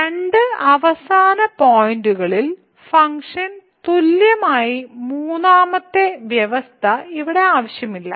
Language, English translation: Malayalam, The third condition where the function was equal at the two end points is not required here